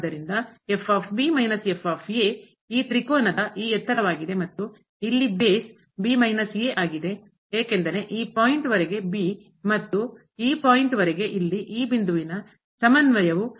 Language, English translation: Kannada, So, minus is this height of this triangle and the base here is minus , because up to this point is and up to this point here the co ordinate of this point is a